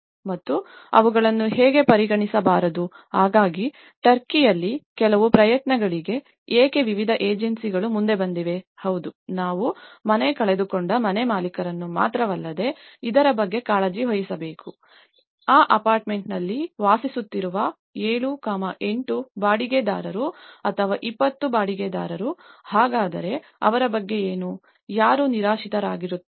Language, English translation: Kannada, And how they are not to be considered, so that is where in Turkey, there have been some efforts why various agencies have come forward that yes, we also need to take care of these not only the house owners who lost the house but what about 7, 8 tenants or 20 tenants who are living in that apartment, so what about them, who becomes homeless